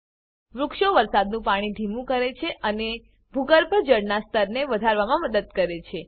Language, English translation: Gujarati, Trees slow down rain water and helps in increasing groundwater level